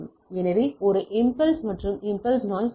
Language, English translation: Tamil, So, there is a impulse and the impulse noise